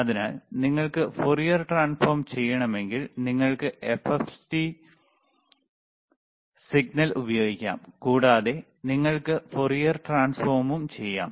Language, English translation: Malayalam, So, if you want to do Fourier transform, you can use FFT signal and you can do Fourier transform